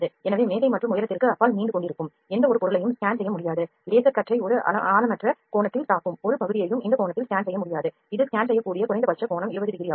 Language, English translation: Tamil, So, any object that protrudes beyond the table and height is higher than the specified maximum height it cannot be scanned, an area where laser beam strikes at a shallow angle can also not be scanned this angle the minimum angle that it can scan is 20 degrees